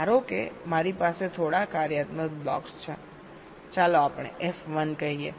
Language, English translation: Gujarati, suppose i have a few functional blocks, lets say f one